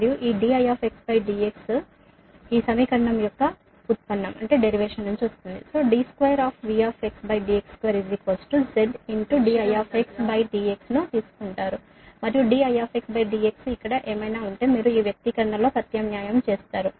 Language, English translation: Telugu, you take the derivative of this equation: d square, v x, d x square is equal to z into d i x upon d x, and whatever d i x upon d x is here you substitute in this expression, right, if you do so